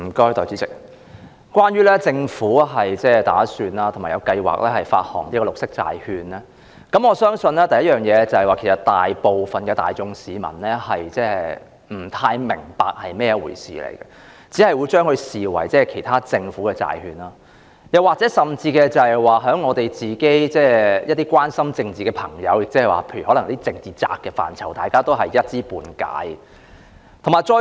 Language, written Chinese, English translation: Cantonese, 代理主席，關於政府計劃發行綠色債券，首先，我相信大部分市民其實不太明白是甚麼一回事，只會視之為其他政府債券，甚至是一些關心政治的朋友——例如"政治宅"——其實也是一知半解。, Deputy President regarding the Governments plan to issue green bonds first of all I believe most members of the public do not really understand what it is . They will only regard them as other government bonds and even those who are very much concerned about politics such as the political fanatics may only have scanty knowledge of it